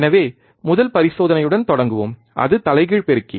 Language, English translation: Tamil, So, we will start with the first experiment, that is the inverting amplifier